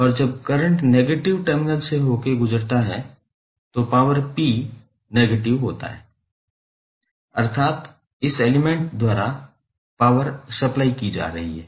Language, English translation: Hindi, And when current enters through the negative terminal then power p is negative of vi that means power is being supplied by this element